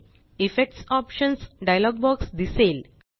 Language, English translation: Marathi, The Effects Options dialog box appears